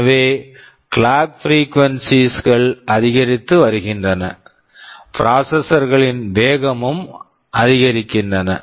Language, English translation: Tamil, So, the clock frequencies are increasing, the processors are becoming faster